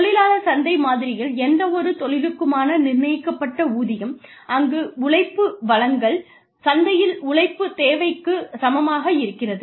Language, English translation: Tamil, Labor market model is, where the wage for any given occupation, is set at a point, where the supply of labor, equals the demand for labor, in the marketplace